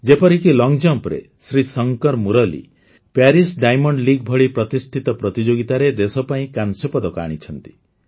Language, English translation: Odia, For example, in long jump, Shrishankar Murali has won a bronze for the country in a prestigious event like the Paris Diamond League